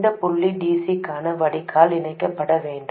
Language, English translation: Tamil, This point should get connected to the drain for DC